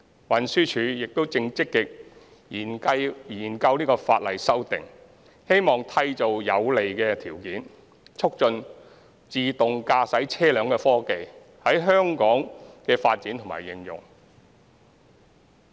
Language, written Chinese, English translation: Cantonese, 運輸署亦正積極研究法例修訂，希望締造有利條件，促進自動駕駛車輛科技在香港的發展和應用。, The Transport Department TD is actively studying the amendment of legislation in the hope of creating favourable conditions for promoting the development and application of autonomous vehicle technology